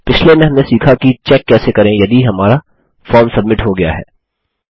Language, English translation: Hindi, In the last one, we learnt how to check if our forms were submitted